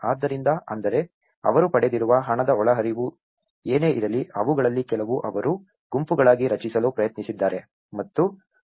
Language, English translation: Kannada, So, which means whatever the cash inflows they have got, some of them they have tried to form into groups